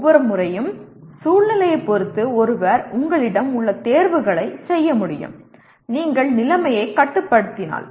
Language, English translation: Tamil, Each time depending on the situation one should be able to exercise the choices that you have and if you are in control of the situation